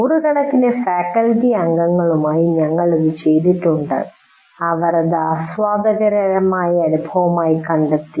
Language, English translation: Malayalam, We have done this with maybe a few hundred faculty and it is certainly an enjoyable experience